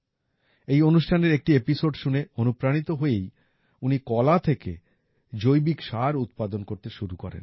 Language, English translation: Bengali, Motivated by an episode of this program, she started the work of making organic fertilizer from bananas